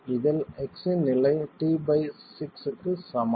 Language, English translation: Tamil, And this is at a condition of x is equal to t by 6